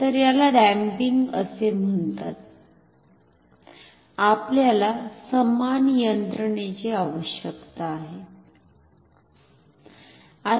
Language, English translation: Marathi, So, this is called damping, we need similar mechanism